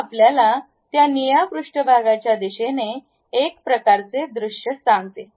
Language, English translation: Marathi, This tells you a kind of view in the direction of that blue surface